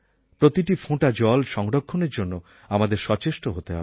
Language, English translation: Bengali, We should make every effort to conserve every single drop of water